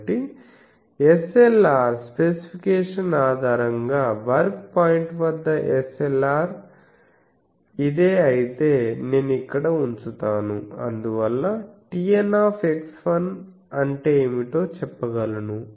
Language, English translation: Telugu, So, at work point based on the SLR specification, so if SLR is this, then I will put it here and hence I can say what is T N x 1